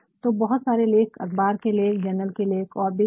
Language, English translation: Hindi, So, many articles, newspaper articles, journal articles whatsoever